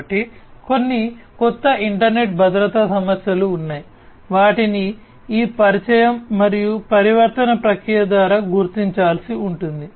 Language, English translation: Telugu, So, there are some new internet security issues that will have to be identified through this introduction and transformation process